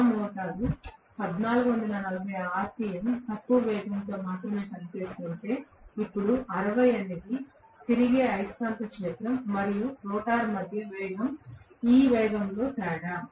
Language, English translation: Telugu, If rather my motor works only at 1440 rpm lower speed, now 60 is the difference in this speed between the revolving magnetic field and the rotor speed